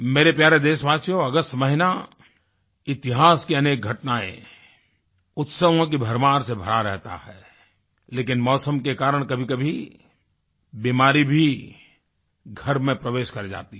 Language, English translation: Hindi, My dear countrymen, the month of August is significant because it is filled with historically important dates and festivals, but due to the weather sometimes sickness also enters the house